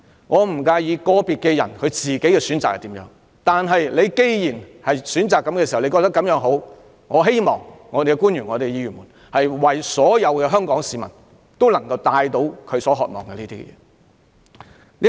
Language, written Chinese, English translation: Cantonese, 我不介意個別人士如何選擇，但既然官員選擇這種教育方式，我希望他們也為香港市民提供這種教育方式。, I do not mind how individual persons make their choice but if officials choose a certain type of education I hope that they will make available that type of education to all Hong Kong people as well